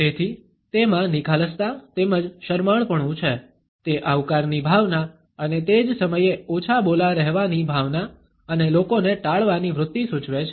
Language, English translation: Gujarati, So, it has encapsulated openness as well as shyness, it suggests a sense of welcome and at the same time a sense of being reserved and a tendency to avoid people